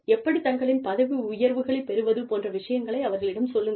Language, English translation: Tamil, Tell them, how they can go ahead in the organization, how they can get their promotions, etcetera